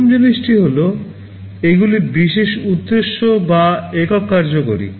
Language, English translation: Bengali, First thing is that they are special purpose or single functional